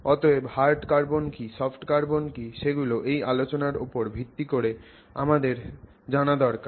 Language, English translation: Bengali, We will also look at how we can distinguish between what is known as hard carbon and something else that is known as soft carbon